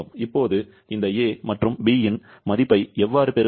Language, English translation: Tamil, Now, how to get the value of this a and b